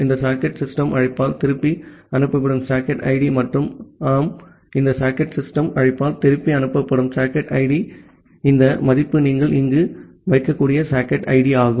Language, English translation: Tamil, The socket id that is returned by this socket system call and yeah the socket id that is returned by this socket system call, so this s value is the socket id which has been returned that you can put here